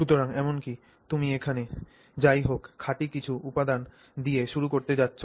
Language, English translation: Bengali, So, even here you are going to anyway start with some material that is pure